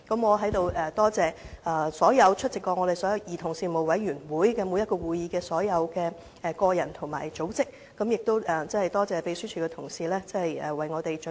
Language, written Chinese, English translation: Cantonese, 我在此感謝所有曾出席兒童權利小組委員會會議的個人和組織，亦感謝秘書處的同事為我們準備這份完備的報告。, Here I thank all the individuals and deputations who have attended the meetings of the Subcommittee on Childrens Rights . I also thank the colleagues in the Secretariat for preparing this exhaustive report for us